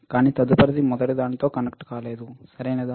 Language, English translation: Telugu, But the next one is not connected with the first one, all right